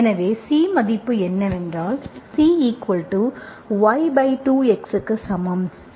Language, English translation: Tamil, So that gives me C equal to minus x by 2